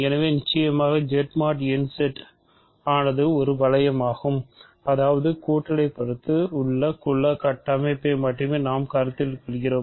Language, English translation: Tamil, So of course, Z mod n Z is also a ring so; that means, we are only considering the additive group structure